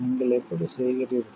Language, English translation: Tamil, How do you do